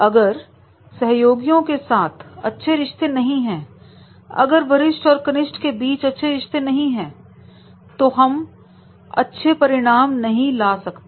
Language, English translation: Hindi, If there is not a smooth relationship amongst the colleagues, if there is not a smooth relationship between the superior and subordinate, then we cannot deliver the results